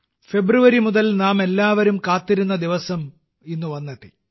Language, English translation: Malayalam, The day all of us had been waiting for since February has finally arrived